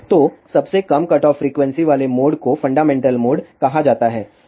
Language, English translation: Hindi, So, the mode with lowest cutoff frequency is called as fundamental mode